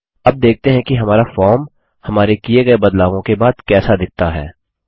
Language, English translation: Hindi, Let us now see, how our form looks like after the modification that we made